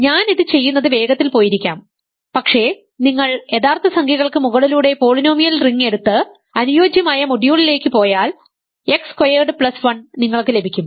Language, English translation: Malayalam, I may have gone fast doing this, but the point was if you take the polynomial ring over the real numbers and go modulo the ideal generated by X squared plus 1 what you get is the complex numbers as rings